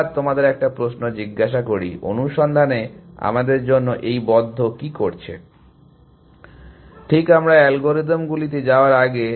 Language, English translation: Bengali, So, let us just ask the question, what is close doing for us in search, before we move on to the algorithms which